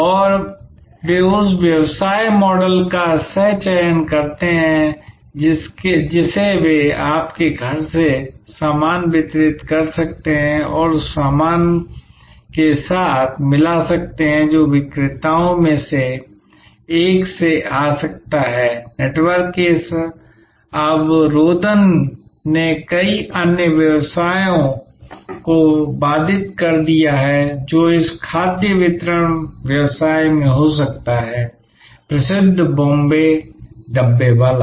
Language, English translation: Hindi, And they co opt, that business model that they can deliver stuff from your home and mix it with stuff that can come from one of the vendors, this intermixing of networks have disrupted many other businesses can it happen in this food delivery business of the famous Bombay Dabbawalas